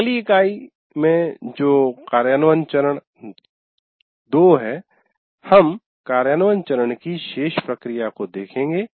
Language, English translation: Hindi, And in the next unit, which is implementation phase two, we look at the remaining processes of implementation phase